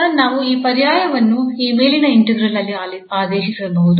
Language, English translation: Kannada, So, we can make this substitution in this above integral